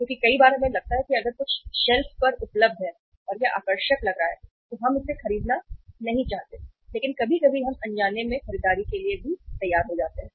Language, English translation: Hindi, Because many a times we feel that if something is available on the shelf and it looks attractive we do not want to purchase it but sometime we go for the unintended purchases also